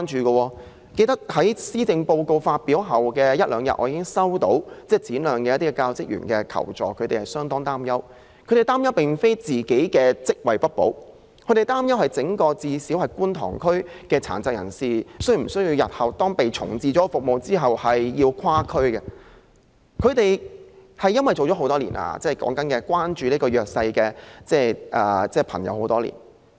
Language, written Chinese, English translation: Cantonese, 我記得在施政報告發表後的一兩天，便已接獲該中心一些教職員的求助，他們十分擔憂，但並非擔憂自己的職位不保，而是擔心整個觀塘區內的殘疾人士，是否須在重置服務後跨區上課，因為他們關注弱勢社群已有多年。, I remember having received the requests for assistance from the teaching staff of the Centre a day or two after the release of the Policy Address . They are very worried not about losing their jobs but about whether the PWDs within the entire Kwun Tong District will have to travel to other districts to attend training classes upon relocation of the Centre . They are worried because they have been showing concern for the vulnerable groups for years